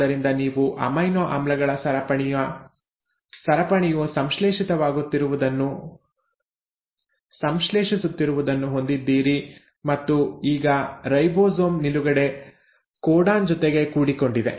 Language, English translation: Kannada, So you are getting a chain of amino acids getting synthesised and now the ribosome has bumped into a position which is the stop codon